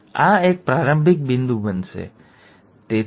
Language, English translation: Gujarati, So, this is, this is going to be a starting point, right